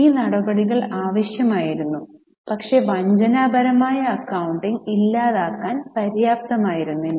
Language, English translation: Malayalam, These measures were necessary but not sufficient to eliminate fraudulent accounting